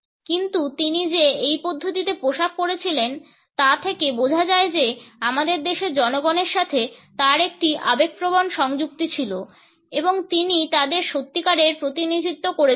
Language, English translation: Bengali, But the very fact that he was dressed in this manner suggested that he had an emotional attachment with the masses of our country and he truly represented them